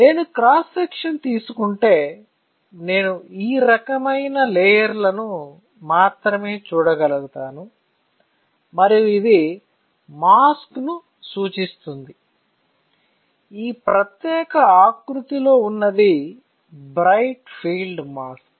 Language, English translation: Telugu, If I take a cross section I would be able to only see this kind of layers right and that is why we have been representing the mask, which is our bright field mask in this particular format